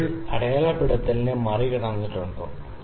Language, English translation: Malayalam, So, has the bubble cross the marking